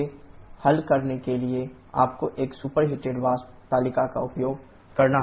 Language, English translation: Hindi, So, to solve this you have to use a superheated vapour table